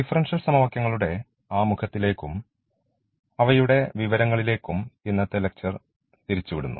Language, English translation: Malayalam, So, today’s lecture will be diverted to the introduction and the information of differential equations